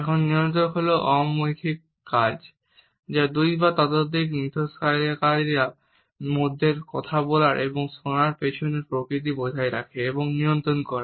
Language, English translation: Bengali, Now, regulators are nonverbal acts which maintain and regulate the back and forth nature of a speaking and listening between two or more interactants